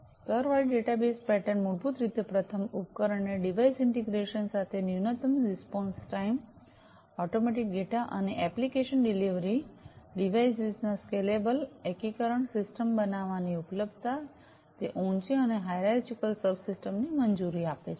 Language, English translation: Gujarati, So, layered databus pattern basically allows first device to device integration with minimum response time, automatic data and application delivery, scalable integration of devices, availability of the system making, it higher and hierarchical subsystem isolation